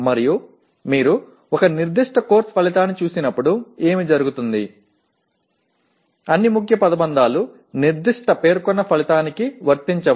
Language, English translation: Telugu, And what happens when you look at a particular Course Outcome, all the key phrases may not be applicable to that particular stated outcome